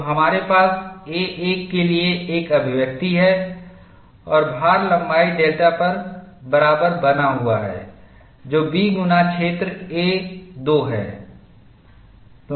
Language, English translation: Hindi, So, we have an expression for A 1, and the load sustained on length delta is B times the area A 2